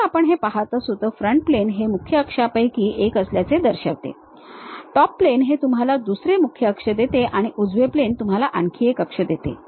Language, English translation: Marathi, If we are looking at this, the front plane represents one of the principal axis, the top plane gives you another principal axis and the right plane gives you another axis